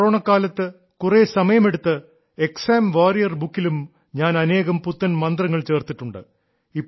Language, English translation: Malayalam, In the times of Corona, I took out some time, added many new mantras in the exam warrior book; some for the parents as well